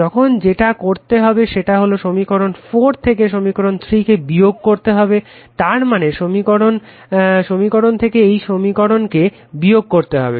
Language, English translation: Bengali, So, now now what you do subtract equation 4 from equation 3, I mean this equation you subtract from this equation if you do